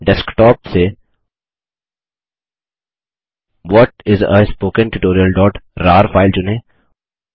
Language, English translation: Hindi, From the Desktop, select the file What is a Spoken Tutorial.rar